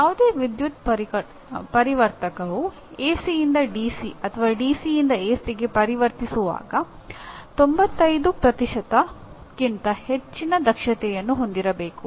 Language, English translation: Kannada, Any power converter that is when it converts from AC to DC or DC to AC should have efficiency above 95%